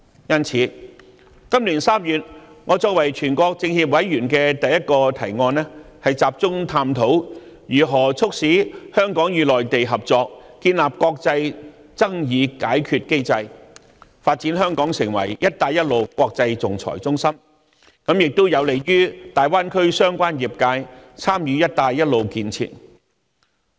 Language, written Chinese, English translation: Cantonese, 因此，今年3月，我作為全國政協委員的第一個提案，便是集中探討如何促使香港與內地合作，建立國際爭議解決機制，發展香港成為"一帶一路"國際仲裁中心，亦有利於大灣區相關業界參與"一帶一路"的建設。, In this connection in March this year the first proposal that I made in my capacity as a member of the National Committee of the Chinese Peoples Political Consultative Conference was mainly to explore ways to facilitate cooperation between Hong Kong and the Mainland in setting up an international dispute resolution mechanism and developing Hong Kong into a Belt and Road international arbitration centre which is also helpful to the relevant industries in the Greater Bay Area in participating in the Belt and Road Initiative